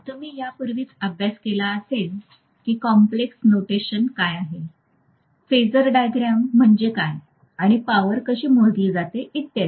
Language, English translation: Marathi, You must have studied this already you must have seen what is complex notation, what is phasor diagram, and how the power is measured and so on